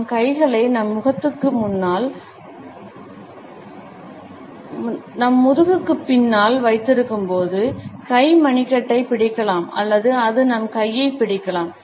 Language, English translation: Tamil, The hand may grip the wrist when we are holding our hands behind our back or it can also hold our arm